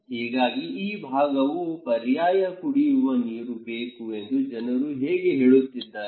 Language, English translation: Kannada, So, people are saying now that okay, we need alternative drinking water in this area